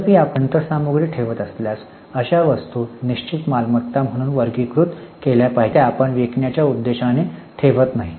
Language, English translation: Marathi, However, if you are keeping machinery spares, then such items should be classified as fixed assets because they are not into for the purpose of selling